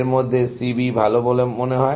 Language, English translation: Bengali, Out of these, C B seems to be better